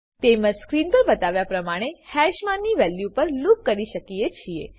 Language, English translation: Gujarati, Similarly, we can loop over hash values as shown on the screen